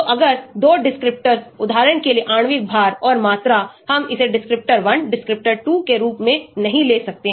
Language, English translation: Hindi, So, if 2 descriptors ; for example, molecular weight and volume, we cannot take this as descriptor 1, descriptor 2